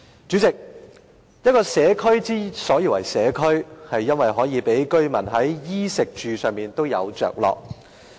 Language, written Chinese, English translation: Cantonese, 主席，一個社區之所以為社區，是因為可以讓居民在衣、食和住方面皆有着落。, President a community is one which allows the residents to satisfy their needs of clothing food and housing